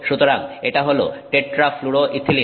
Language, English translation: Bengali, And we can make from this something called tetrafluoroethylene